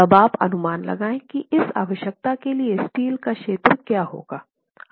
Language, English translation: Hindi, Now you will proceed to estimate what the area of steel would be for this requirement